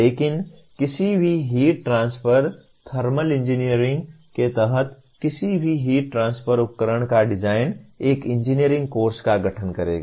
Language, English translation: Hindi, But whereas any heat transfer, design of any heat transfer equipment under thermal engineering will constitute an engineering course